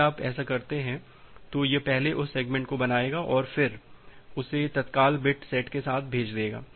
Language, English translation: Hindi, If you do that then it will first create that segment and segment then send it out with the urgent bit set to one